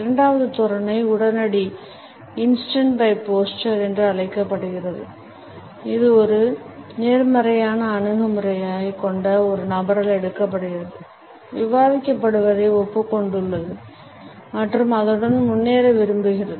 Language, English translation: Tamil, The second posture is known as instant by posture; it is taken up by a person who has a positive attitude, has agreed to whatever is being discussed and wants to move on with it